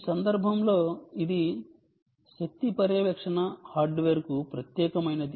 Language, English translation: Telugu, in this case this is specific to the energy monitoring hardware